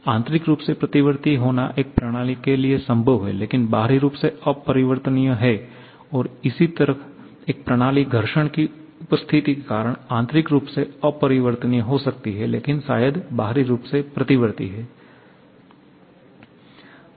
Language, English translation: Hindi, It is possible for a system to be internally reversible but externally irreversible and similarly a system can be internally irreversible because of the presence of friction but maybe externally reversible